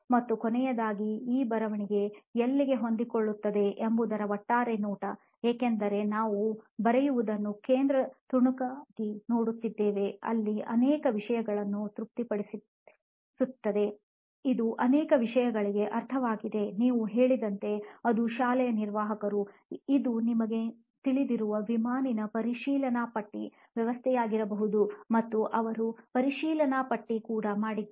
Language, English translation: Kannada, And lastly the overall view of where this writing fits in because after all we are looking at writing as a central piece where it is satisfying so many things, it is meant for so many things, it could be like you said, it could be for an admin in a school, it could be an aircraft you know checklist system also they also do a checklist, right